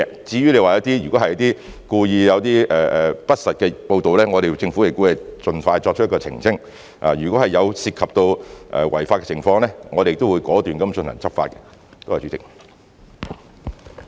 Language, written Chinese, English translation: Cantonese, 至於你說如果有一些故意不實的報道，政府亦會盡快作出澄清；如果涉及違法的情況，我們亦會果斷進行執法。, If you are talking about some false reports which are made on purpose the Government will make clarification as expeditiously as possible . We will also take resolute law enforcement actions if acts breaching the law are involved